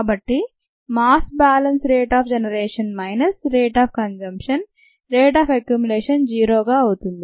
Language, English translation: Telugu, so the rate of generation minus the rate of consumption of the product equals the rate of accumulation of the product